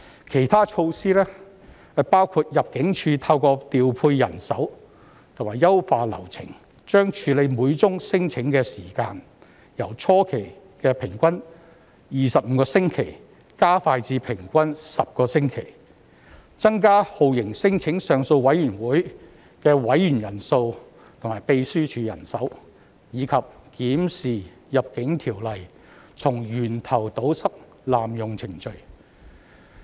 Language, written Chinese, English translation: Cantonese, 其他措施包括：入境處透過調配人手和優化流程，將處理每宗聲請的時間，由初期的平均25星期加快至平均10星期，增加酷刑聲請上訴委員會的委員人數和秘書處人手，以及檢視《入境條例》，從源頭堵塞濫用程序。, Other measures include expediting the average processing time for each claim from the initial 25 weeks to 10 weeks by the Immigration Department through manpower redeployment and streamlining the process; increasing the number of members in the Torture Claims Appeal Board TCAB and the staffing of TCAB Secretariat; and reviewing the Immigration Ordinance to plug loopholes prone to abuse of process at source